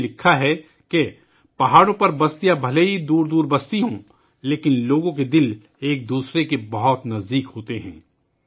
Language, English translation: Urdu, He wrote that the settlements on the mountains might be far apart, but the hearts of the people are very close to each other